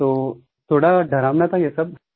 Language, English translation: Hindi, All this was a bit scary